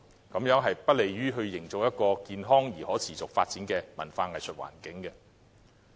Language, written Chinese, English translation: Cantonese, 這樣是不利營造健康而可持續發展的文化藝術環境。, It is not conducive to creating an environment for the healthy and sustainable growth of arts and culture